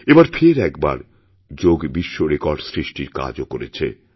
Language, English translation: Bengali, Yoga has created a world record again this time also